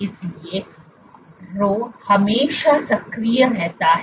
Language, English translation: Hindi, So, Rho is always activated